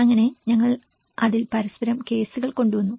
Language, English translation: Malayalam, So in that way, we brought a variety of cases in it